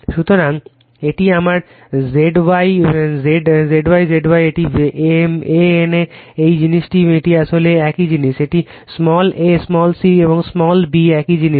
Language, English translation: Bengali, So, this is my Z Y Z Y Z Y right this is A N A same thing this is actually it is same thing it is small a , this is your small c , and this is your small b , same thing